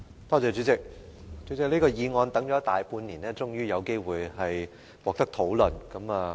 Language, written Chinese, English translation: Cantonese, 代理主席，這項議案等了大半年，現在終於可以進行辯論了。, Deputy President after waiting for more than half a year we can finally discuss this motion now